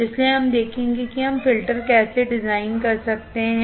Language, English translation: Hindi, So, we will see how we can design filters